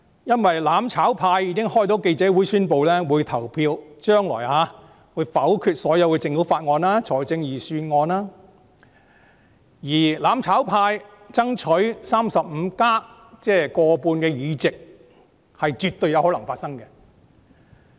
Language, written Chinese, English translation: Cantonese, 因為"攬炒派"已經舉行記者招待會，宣布將來會投票否決政府提交的所有法案和預算案，而"攬炒派"爭取 "35+" 的目標絕對有可能達成。, Because the mutual destruction camp has held a press conference to announce its intention to vote down all bills and Budgets presented by the Government . And the mutual destruction camp absolutely can achieve its goal of striving for 35 ie